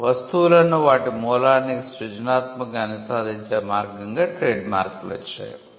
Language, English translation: Telugu, Marks came as a way to creatively associate the goods to its origin